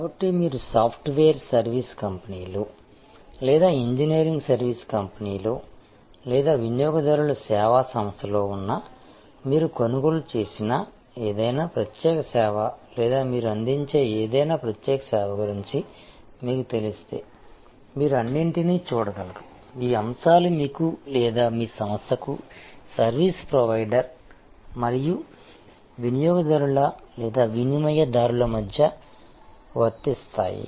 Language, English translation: Telugu, So, if you thing about any particular service that you have procured or any particular service that you might be offering, whether you have in a software service company or in an engineering service company or a consumer service company, you will be able to see all this elements apply between you or your organization is the service provider and the customer or the consumer